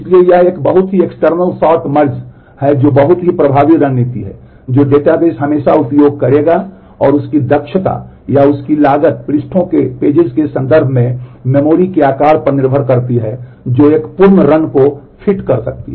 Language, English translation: Hindi, So, that is a very external sort merge is a very effective strategy that the databases will always use and the efficiency of that or the cost of that depends on the size of the memory in terms of pages as to what can fit a complete one run data